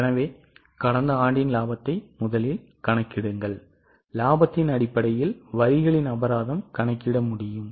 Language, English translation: Tamil, So, please calculate last year's profit first and based on the profit we will be able to calculate the taxes